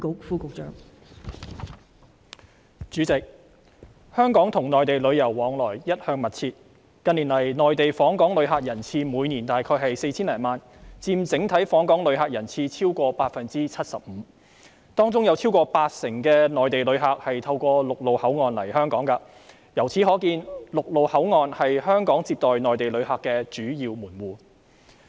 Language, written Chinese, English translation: Cantonese, 代理主席，香港與內地旅遊往來一向密切，近年，內地訪港旅客人次每年大約 4,000 多萬，佔整體訪港旅客人次超過 75%， 當中有超過八成內地旅客透過陸路口岸來港，由此可見，陸路口岸是香港接待內地旅客的主要門戶。, Deputy President tourism travel between Hong Kong and the Mainland has always been frequent . In recent years Hong Kong recorded approximately 40 million Mainland tourist arrivals each year accounting for more than 75 % of the total inbound tourist arrivals . Of these Mainland tourist arrivals more than 80 % came here through land control points